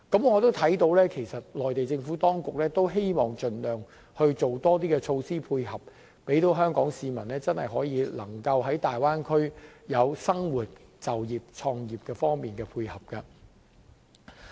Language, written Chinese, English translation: Cantonese, 我亦看到，其實內地政府也希望盡量推出更多措施，以配合港人在大灣區生活、就業及創業。, As I can observe the Mainland Government also intends to introduce more measures to suit the needs of Hong Kong people wishing to live work and set up businesses in the Bay Area